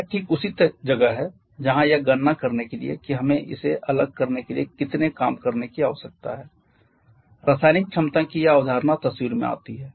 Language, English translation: Hindi, In order to calculate how much of work that we need to separate this concept of chemical potential comes into picture